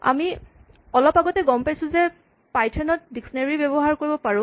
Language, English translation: Assamese, We saw recently that we can use dictionaries in python